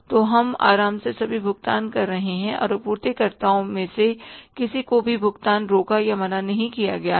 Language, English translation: Hindi, So, that we are comfortable in making all the payments and no payment is stopped or denied to any of the suppliers